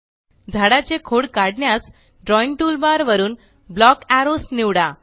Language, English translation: Marathi, To draw the trunk of the tree, from the Drawing toolbar select Block Arrows